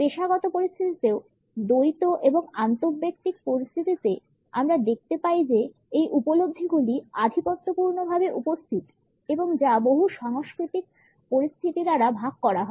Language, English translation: Bengali, In professional situations also in dyadic and in interpersonal situations we find that these perceptions are dominantly present and shared by cross cultural situations